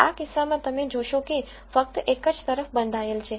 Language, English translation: Gujarati, In this case you will notice that it is bounded only on one side